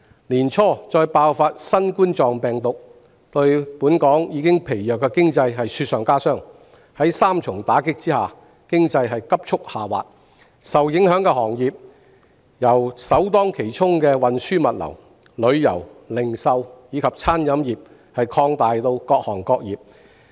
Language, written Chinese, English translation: Cantonese, 年初再爆發新冠病毒疫情，令香港疲弱的經濟雪上加霜，在三重打擊下，經濟急速下滑，受影響行業由首當其衝的運輸物流、旅遊、零售及餐飲業，擴大至各行各業。, In the beginning of this year the outbreak of the novel coronavirus epidemic has further weakened the already fragile Hong Kong economy . Having suffered three blows the economy has slipped rapidly . The transport and logistics tourism retail and catering industries bear the brunt to be followed by other trades and industries